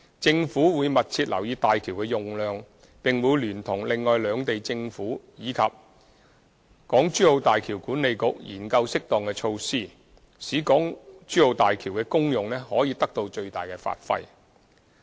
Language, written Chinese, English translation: Cantonese, 政府會密切留意大橋的用量，並會聯同另外兩地政府及大橋管理局研究適當措施，使大橋的功用可以得到最大的發揮。, The Government will keep in view the utilization rate of HZMB and will look into suitable measures in conjunction with the governments of the other two places as well as HZMB Authority so as to bring the benefits of HZMB into full play